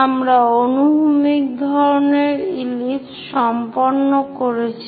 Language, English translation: Bengali, So, we are done with horizontal kind of ellipse